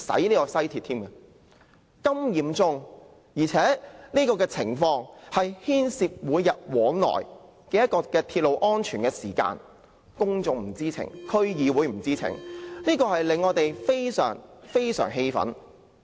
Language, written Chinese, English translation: Cantonese, 情況如此嚴重，而且牽涉每天往來的鐵路安全，但公眾和區議會均不知情，這令我們感到極為氣憤。, We are indignant because the situation is grave and the matter involves the daily railway safety of the people but they and the District Council are ignorant of it